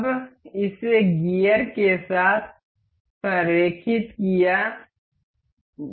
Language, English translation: Hindi, Now, it is aligned with the gear